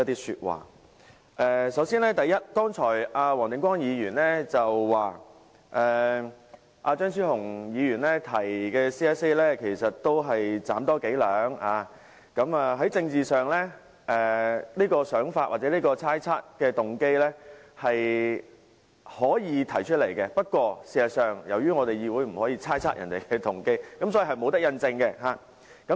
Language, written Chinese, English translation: Cantonese, 首先，黃定光議員剛才說張超雄議員提出的修正案是"斬多幾兩"，政治上大家可以提出這種想法或猜測別人的動機，不過，在議會內議員不應猜測其他議員的動機，所以不能印證。, First of all Mr WONG Ting - kwong described Dr Fernando CHEUNGs amendment as making excessive demands . Politically everyone can make such an assumption but we should not impute motives to other Members in the Council so such an assumption cannot be proved